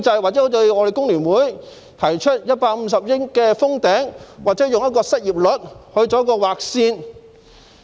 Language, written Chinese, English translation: Cantonese, 或應否如我們工聯會提出，以150億元"封頂"，又或以失業率來劃線？, Or should the amount be capped at 15 billion as proposed by FTU or should a line be drawn based on the unemployment rate?